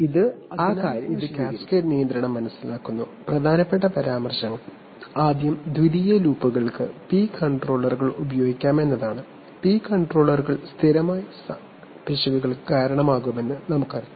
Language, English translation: Malayalam, Then so this is having understood cascade control, which see some remarks that important remarks is that firstly secondary loops can use P controllers, why we know that P controllers can result in steady state errors